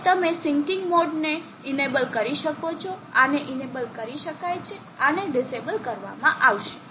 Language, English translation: Gujarati, So you can enable the sinking mode this can be enable this can be disable